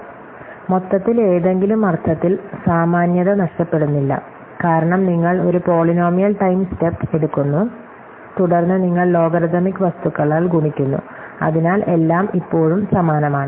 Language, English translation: Malayalam, So, overall in some sense there is no loss of generality, because you take a polynomial times step, and then you multiplied by logarithmic thing, so everything is still the same